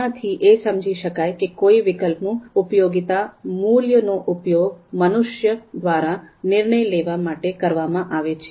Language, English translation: Gujarati, So therefore, it was realized that it is probably the utility value of a particular alternative that is actually used by humans for decision makings